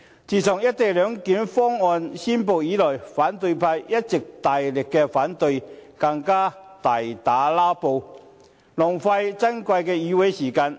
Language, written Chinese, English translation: Cantonese, 自"一地兩檢"方案公布以來，反對派一直大力反對，更大打"拉布"，浪費珍貴的議會時間。, Since the announcement of the co - location arrangement the opposition camp has been showing objection vigorously and resorted to filibustering and wasting the precious time of the legislature